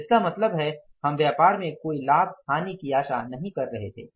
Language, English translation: Hindi, So, it means we were expecting business to be at the no profit, no loss